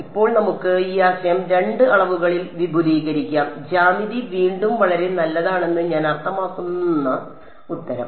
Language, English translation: Malayalam, Now, we can extend this idea in two dimensions and the answer I mean the geometry again is very nice ok